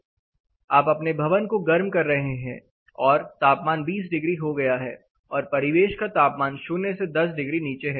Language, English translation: Hindi, So, you are heating your building say inside is you know plus 20 degrees, ambient is at minus 10 degrees